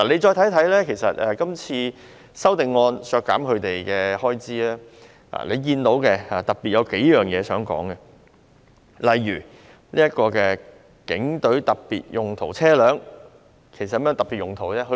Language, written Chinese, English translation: Cantonese, 今次修正案提出削減部門開支，當中有數點我想特別提出，例如警隊特別用途車輛，其實有何特別用途呢？, These amendments suggest deleting the estimated expenditure of the departments concerned and I would particularly want to highlight a few points . In the example of the specialized vehicles of the Police Force what actually is the specialized usage?